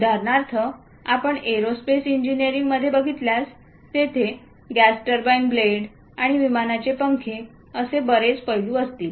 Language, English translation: Marathi, For example, if you are looking at aerospace engineering, there will be gas turbine blades, and aeroplane's wings, many aspects